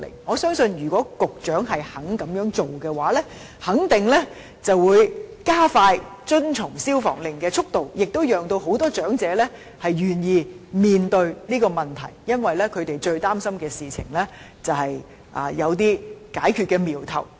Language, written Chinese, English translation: Cantonese, 我相信如果當局願意這樣做的話，肯定會加快業主遵從命令的速度，亦會令很多長者願意面對這個問題，因為他們最擔心的事情有了解決的瞄頭。, I believe if such a scheme is introduced by the authorities the time needed for compliance will certainly be shortened and more elderly people will be willing to face up to this problem because they see a sign of solution to their worry